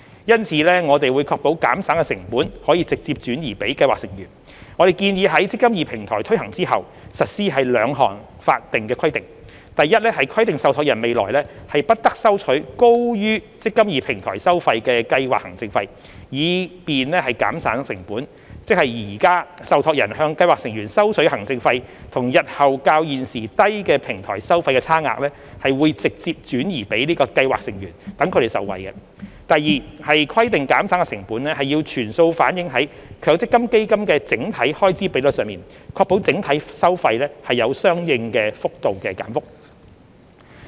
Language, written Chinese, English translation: Cantonese, 因此，我們會確保減省的成本可直接轉移予計劃成員，我們建議在"積金易"平台推行後，實施兩項法定規定：一規定受託人未來不得收取高於"積金易"平台收費的計劃行政費，以便減省的成本，即現時受託人向計劃成員收取的行政費與日後較現時低的平台收費的差額，會"直接轉移"予計劃成員，讓其受惠；二規定減省的成本要全數反映在強積金基金的整體開支比率上，確保整體收費有相應幅度的減幅。, Hence we will ensure that cost savings will be passed directly to scheme members . We propose to impose two statutory requirements following the implementation of the eMPF Platform 1 stipulating that trustees should not charge scheme administration fees higher than those charged by the eMPF Platform in the future in order to save cost which means that the difference between the existing scheme administration fee charged by the trustee on scheme members and the lower eMPF Platform fee payable by trustee in the future will benefit scheme members under the straight pass - on requirement; 2 stipulating that cost savings must be reflected in full in the overall Fund Expense Ratio FER of the MPF funds with a view to ensuring corresponding reduction in the overall fees